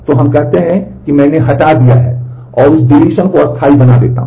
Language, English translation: Hindi, So, we say that I have deleted and make that deletion permanent